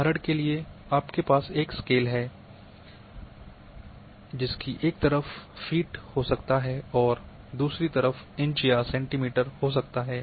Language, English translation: Hindi, For example,you might be having one feet scale on one side, you are having inches another side you are having centimetres